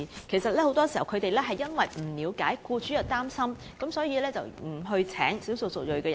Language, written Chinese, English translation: Cantonese, 政府很多時也不了解僱主的擔心，不明白他們為何不聘用少數族裔人士。, Often times the Government fails to appreciate the worries of the employers and knows little about their reluctance to employ ethnic minorities